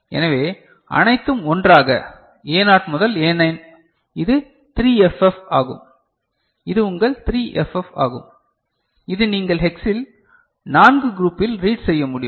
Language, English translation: Tamil, So, all becoming 1, A0 to A9, so that is your 3FF, that is your 3FF that you can read in hex means group of 4